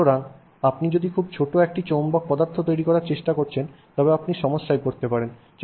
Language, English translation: Bengali, So, if you are trying to make a magnet that is very small, you may run into trouble